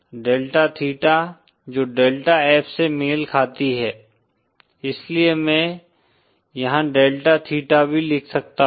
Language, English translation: Hindi, Delta theta which corresponds to delta F, so I can write here delta theta also